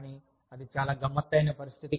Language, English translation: Telugu, But, that is a very tricky situation